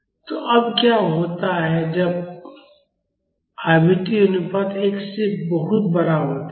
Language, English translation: Hindi, So, now what happens when the frequency ratio is much larger than 1